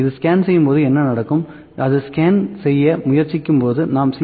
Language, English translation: Tamil, What happens when it scans, when it try to scan, when we use C